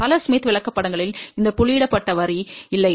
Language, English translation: Tamil, Many smith charts do not have this dotted line